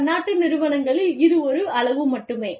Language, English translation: Tamil, In multinational, it is only scale